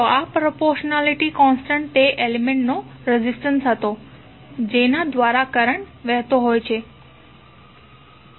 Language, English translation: Gujarati, So, this proportionality constant was the resistance of that element through which the current is flowing